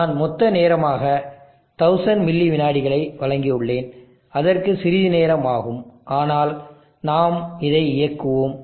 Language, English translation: Tamil, I have given 1000 milliseconds as a total time, and it will take some time, but we will run this